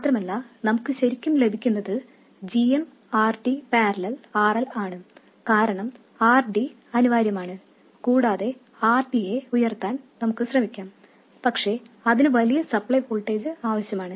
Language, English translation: Malayalam, And what we really get is minus Gm, RD parallel RL because RD is inevitable and we can try to make RD higher and higher but that will need a larger and larger supply voltage